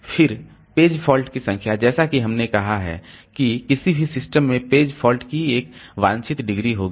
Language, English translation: Hindi, The number of page faults, as we have said that any system it will have a desired degree of page faults